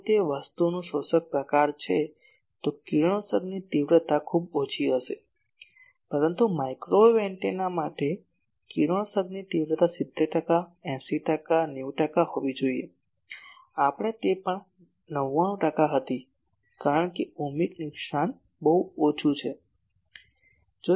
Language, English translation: Gujarati, If it is an absorber type of thing, then radiation intensity will be very low but for microwave antennas the radiation intensity should be 70 percent, 80 percent, 90 percent like that , we were 99 percent also it can be because Ohmic loss is very small